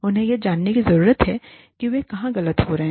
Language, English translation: Hindi, They need to know, where they are going wrong